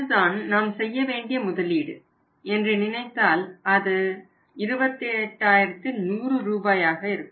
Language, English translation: Tamil, If you take the figure of the total investment total investment is going to be in this case is 28100 right